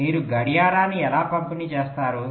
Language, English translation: Telugu, so how do you distribute the clock